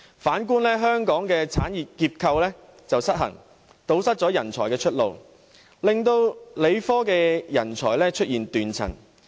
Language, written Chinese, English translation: Cantonese, 反觀香港，產業結構失衡，堵塞人才出路，令理科人才出現斷層。, In contrast the imbalanced industrial structure in Hong Kong has obstructed the career pathways for professionals and led to a succession gap in science professionals